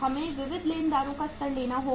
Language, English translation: Hindi, We have to take the level of sundry creditors